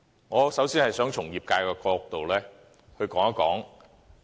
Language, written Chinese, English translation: Cantonese, 我首先想從業界的角度談談。, I would like to comment on it from the perspective of the sector